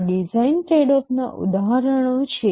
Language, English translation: Gujarati, These are examples of design tradeoffs